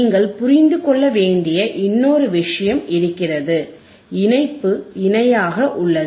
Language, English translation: Tamil, There is one more thing that you have to understand is the parallel connection is parallel